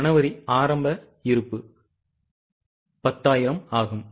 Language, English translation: Tamil, Opening is a January inventory which is 10,000